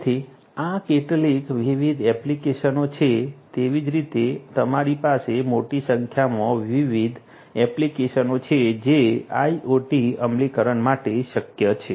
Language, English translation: Gujarati, So, these are the some of these different applications like wise you have you know large number of different applications that are possible for IoT implementation